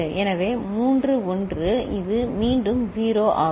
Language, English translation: Tamil, So, three 1s, this is 0 again